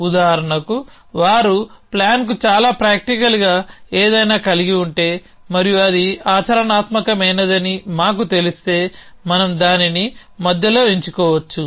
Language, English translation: Telugu, For example, if they have something with as very practical to the plan and we knew it was practical then we could select it in between